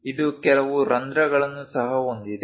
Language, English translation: Kannada, It has few holes also